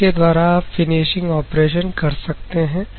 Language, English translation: Hindi, So, you can do the finishing operation